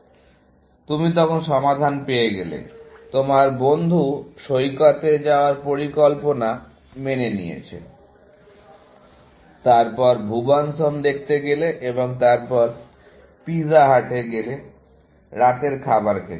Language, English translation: Bengali, You have found the solution; your friend is agreeable to the idea of going to the beach; then, going and watching Bhuvan’s Home, and then, going to the pizza hut for dinner, essentially